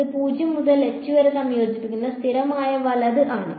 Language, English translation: Malayalam, It is a constant right integrating from 0 to h